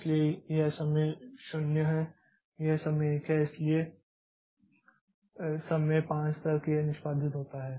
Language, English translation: Hindi, So this is time time 0, this is time 1, so this is up to time 5 it executes